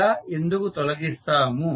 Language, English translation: Telugu, Why we remove it